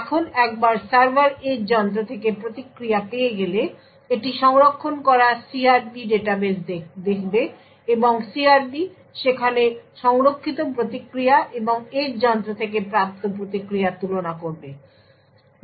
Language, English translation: Bengali, Now once the server obtains the response from the edge device, it would look of the CRP database that it has stored and it would compare the CRP the response stored in the database with the response obtained from the edge device